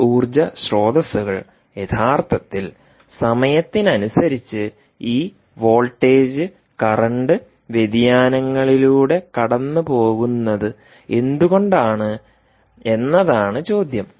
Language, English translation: Malayalam, and the question is, why do these energy sources actually go through this voltage and current variations in time